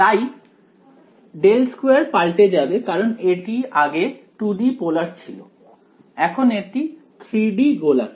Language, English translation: Bengali, So, del squared will change right earlier it was a polar 2 D, now for 3 D spherical right